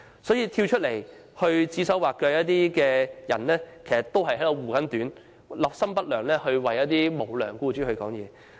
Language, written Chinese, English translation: Cantonese, 所以，那些出來指手劃腳的人，其實是在護短，立心不良，為無良僱主發言。, Therefore people who come out to point their fingers are indeed speaking for the unscrupulous employers with the ill - intention of covering up their faults